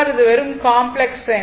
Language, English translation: Tamil, This is a simply complex number